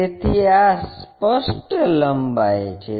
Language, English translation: Gujarati, So, this is apparent length